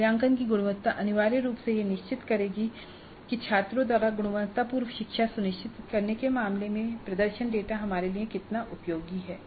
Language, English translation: Hindi, So these two parameters are extremely important and the quality of assessment essentially would determine how useful is the performance data for us in terms of ensuring quality learning by the students